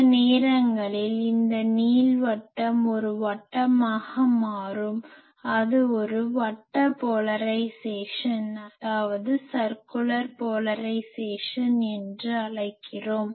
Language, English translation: Tamil, Sometimes that ellipse becomes a line that time we call it a linear polarisation